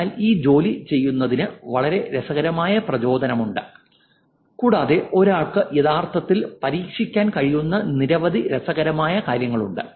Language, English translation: Malayalam, So there's very interesting motivation for doing this work and there's a lot of interesting things one could actually try out